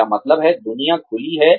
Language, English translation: Hindi, I mean, the world is open